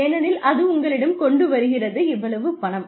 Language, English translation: Tamil, Because, it is bringing you, so much of money